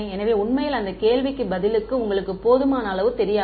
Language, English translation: Tamil, So, actually you do not know enough to answer that question